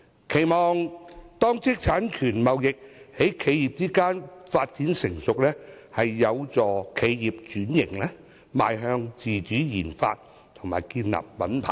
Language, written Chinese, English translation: Cantonese, 我期望，當知識產權貿易在企業間發展成熟時，會有助企業轉型，邁向自主研發及建立品牌。, I hope that when intellectual property trading among enterprises matures it can become the impetus for business transformation thus helping enterprises to embark on their own RD and brand - name building